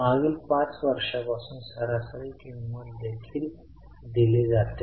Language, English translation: Marathi, Average price is also given for last 5 years